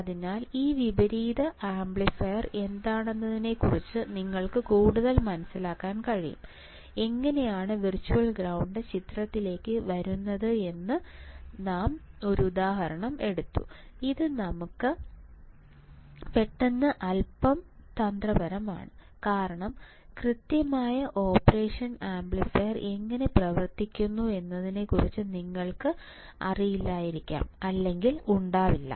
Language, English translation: Malayalam, So, that you can understand further of what is this inverting amplifier how the virtual ground come into picture I took an example which is little bit tricky suddenly in middle of this because you may or may not have idea of how exactly operational amplifier works or how the inverting amplifier works or how the virtual grounds comes into picture